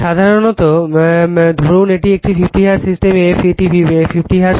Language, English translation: Bengali, Generally, you take it is a 50 hertz system f it = 50 hertz